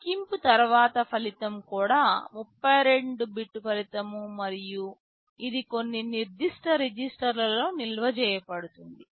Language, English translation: Telugu, The result after the calculation is also a 32 bit result and this will be stored in some particular register